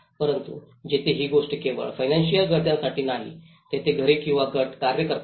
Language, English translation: Marathi, But here, the thing is it is not just for the economic necessity where households or groups act upon